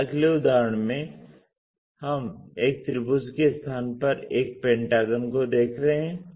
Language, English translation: Hindi, In this next example instead of a triangle we are looking at a pentagon